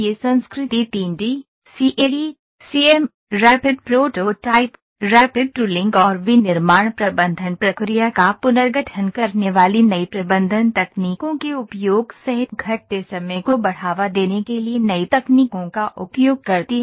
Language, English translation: Hindi, This culture uses new technologies to promote the time decreasing including utilization of 3D, CAD, CAM, Rapid Prototyping, Rapid Tooling and the use of new management techniques which restructure the manufacturing process